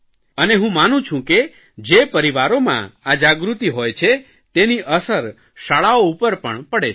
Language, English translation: Gujarati, I believe that when there is awareness in the family, it impacts the school and has an impact on teachers as well